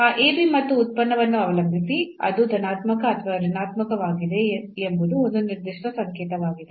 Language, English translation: Kannada, So, depending on that ab and the function but it will be a definite sign whether it will be positive or negative